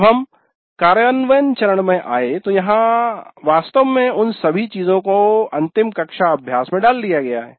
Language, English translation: Hindi, Then we came to the implement phase where actually all these things really are put into the final classroom practice